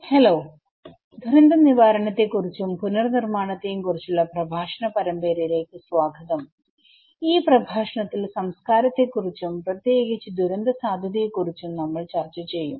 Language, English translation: Malayalam, Hello everyone, welcome to the lecture series on disaster recovery and build back better, in this lecture we will discuss about culture and risk particularly in disaster risk